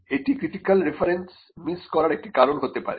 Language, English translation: Bengali, And that could be a reason why you miss out a critical reference